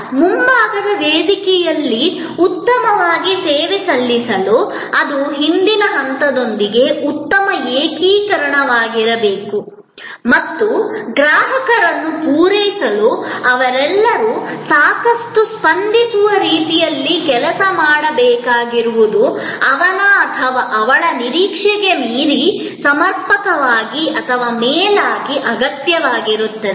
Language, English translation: Kannada, So, to serve well on the front stage, that has to be a very good integration with the back stage and they have to be all working quite responsively to meet customers need adequately or preferably beyond his or her expectation